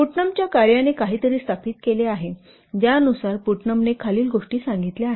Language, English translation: Marathi, Putnam's work has established something